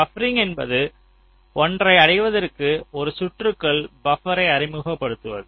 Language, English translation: Tamil, buffering means we introduce buffers in a circuit in order to achieve something, that something